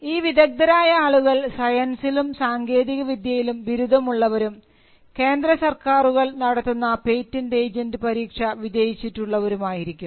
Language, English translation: Malayalam, The patent agent are people who have a background degree in science and technology and who have cleared the patent agent examination conducted by the Central Government